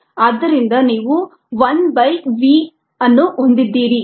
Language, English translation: Kannada, so you have one by v